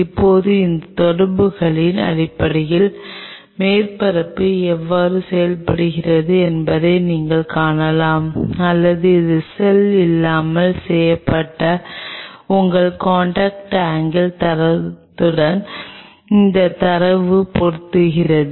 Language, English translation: Tamil, Now based on this interaction you can see how the surface is behaving or this does this data matches with your contact angle data which was done without the cell